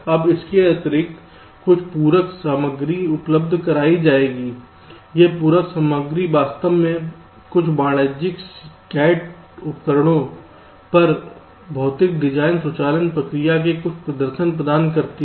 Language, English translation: Hindi, this supplementary materials actually provide some demonstration of the physical design automation process on some commercial cad tools